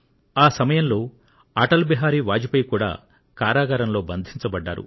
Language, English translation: Telugu, Atal Bihari Vajpayee ji was also in jail at that time